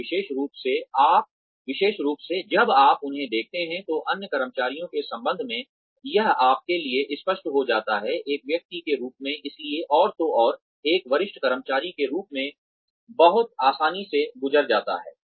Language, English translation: Hindi, And especially, when you see them, in relation to other employees, it sorts of becomes clear to you, as a person that, so and so can very easily pass off, as a senior employee